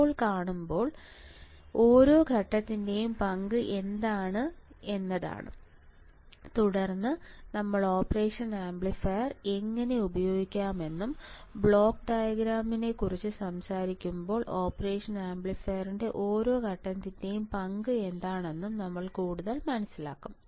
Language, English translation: Malayalam, Now, when we see; what is the role of each stage, then we will understand further that how we can use the operation amplifier and what is the role of each stage of the operational amplifier when you talk about the block diagram